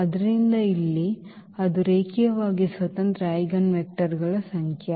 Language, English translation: Kannada, So, here that is the number of linearly independent eigen vectors